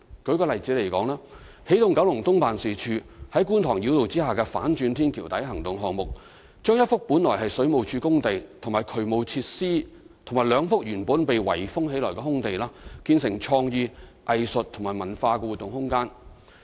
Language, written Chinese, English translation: Cantonese, 舉例而言，起動九龍東辦事處在觀塘繞道下的"反轉天橋底行動"項目，將一幅原是水務署工地及渠務設施和兩幅原是被圍封的空地建成創意、藝術及文化活動空間。, For instance the Energizing Kowloon East Office launched a Fly the Flyover Operation beneath the Kwun Tong Bypass . The programme turned a works site originally belonged to the Water Supplies Department and some area used for drainage facilities and also two vacant sites in enclosure into a space for creative arts and cultural activities